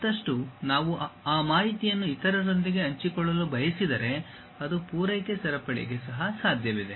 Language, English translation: Kannada, And, further if we want to share that information with others that can be also possible for the supply chain